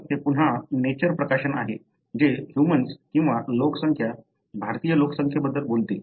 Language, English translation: Marathi, So, this is again a Nature publication, which talks about the human or the population, Indian population